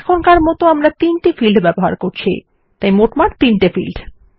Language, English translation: Bengali, But for now were using these 3 fields making it a total of 3 fields